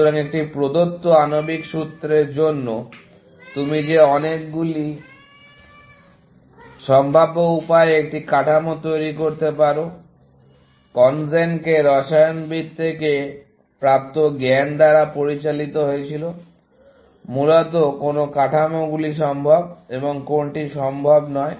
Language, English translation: Bengali, So, of the many possible ways that you could conjure a structure for a given molecular formula, CONGEN was guided by knowledge gleamed from chemist, as to what structures are feasible and what are not feasible, essentially